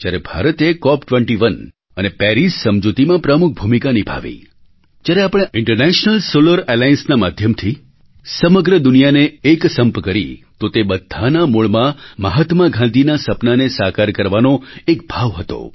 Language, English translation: Gujarati, Today when India speaks of climate justice or plays a major role in the Cop21 and Paris agreements or when we unite the whole world through the medium of International Solar Alliance, they all are rooted in fulfilling that very dream of Mahatma Gandhi